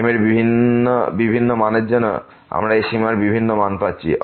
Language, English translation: Bengali, For different values of , we are getting different value of this limit